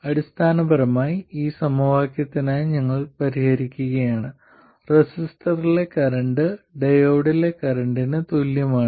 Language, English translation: Malayalam, Essentially we are solving for this equation the current in the resistor being equal to the current in the diode